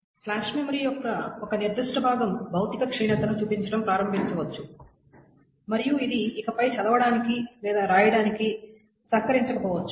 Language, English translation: Telugu, So a particular portion of the flash memory may start showing physical degradation and it may not be able to support any more read rides